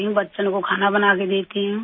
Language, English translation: Urdu, I cook for the children